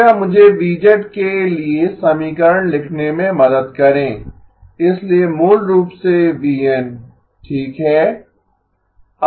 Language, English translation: Hindi, Please help me write the equation for V of z, so basically v of n okay